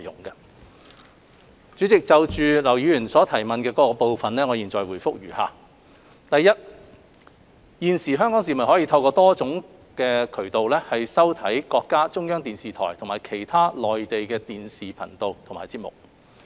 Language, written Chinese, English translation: Cantonese, 代理主席，就劉議員質詢的各個部分，我現答覆如下：一現時，香港市民可透過多種渠道收看中國中央電視台和其他內地電視頻道及節目。, Deputy President my reply to the various parts of the question raised by Mr LAU is as follows 1 At present Hong Kong viewers can watch various TV channels and programmes of China Central Television CCTV and other Mainland TV stations through different means